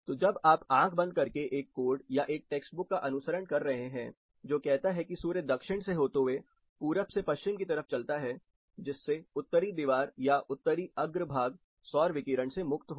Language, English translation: Hindi, So, when you are blindly following a code which says or a text book which says sun traverses from east to west through south, Northern wall or Northern facades are you know free of direct solar radiation